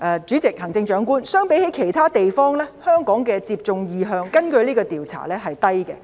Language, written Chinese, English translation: Cantonese, 主席，根據這項調查，相比其他地方，香港市民的接種意向是低的。, President according to this survey in comparison with other places the intention to be vaccinated among Hong Kong citizens is low